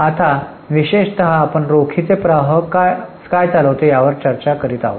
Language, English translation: Marathi, Now particularly we were discussing what is operating cash flow